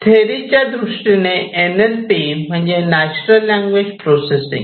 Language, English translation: Marathi, In theory improving in NLP, NLP is basically Natural Language Processing